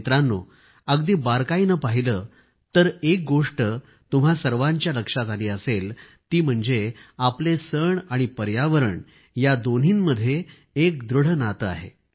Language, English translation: Marathi, Friends, if we observe very minutely, one thing will certainly draw our attention our festivals and the environment